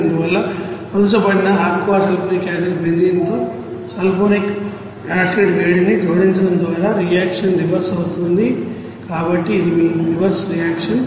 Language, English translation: Telugu, Therefore by adding heat to benzene sulphonic acid in diluted aqua sulfuric acid the reaction will be you know reversed, so this is your reverse reaction